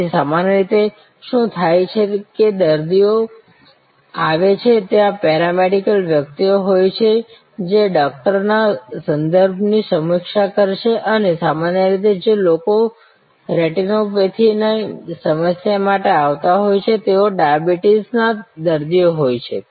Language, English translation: Gujarati, So, usually what happens is that the patient comes in there are paramedic personal who will review the referral from the doctor and usually the people who are coming for retinopathy problem they are diabetic patients